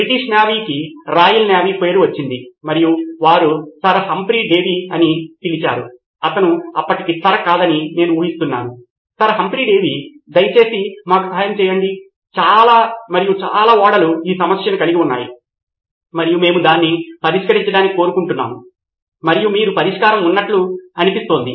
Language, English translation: Telugu, Word got around to Royal Navy, British Navy and they said, Sir Humphry Davy, I guess he was not Sir back then, Humphry Davy, doctor please help us with this, a lots and lots of ships are going through this and we would like to get it fixed and sounds like you have a solution